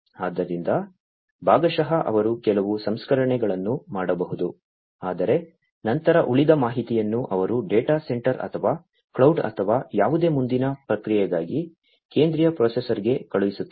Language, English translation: Kannada, So, partially they can do some processing, but then the rest of the information they will be sending it to the central processor like the data center or, cloud or, whatever, for further processing